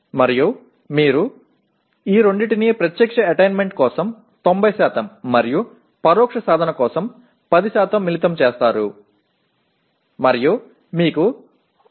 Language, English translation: Telugu, And you combine these two by 90% for direct attainment and 10% for indirect attainment and you have the third column that is showing 62